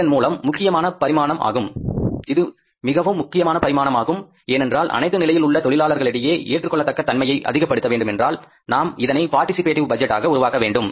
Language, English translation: Tamil, It is a very important dimension because acceptance if you want to increase among us all the employees at every level of the firm, we will have to make this as a participative budgeting